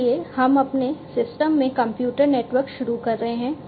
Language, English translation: Hindi, So, we are introducing computers networks into our systems